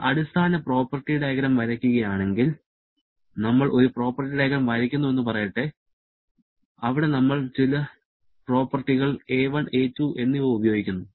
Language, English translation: Malayalam, If we draw a very basic property diagram, let us say I draw a property diagram where we are using some properties a1 and a2 based upon which we are plotting